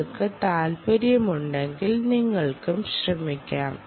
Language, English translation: Malayalam, if you are interested, you should also try